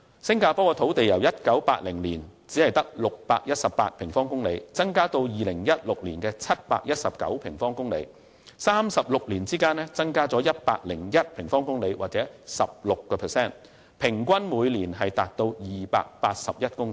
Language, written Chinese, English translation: Cantonese, 新加坡的土地由1980年只有618平方公里增至2016年的719平方公里，在36年間增加了101平方公里或 16%， 平均每年達281公頃。, The land area of Singapore had increased from 618 sq km in 1980 to 719 sq km in 2016 an increase of 101 sq km or 16 % in 36 years or an average increase of 281 hectares per annum